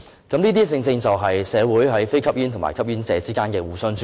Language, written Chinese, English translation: Cantonese, 這些正正就是社會上，非吸煙和吸煙者之間的互相尊重。, All this precisely demonstrates that there is mutual respect between smokers and non - smokers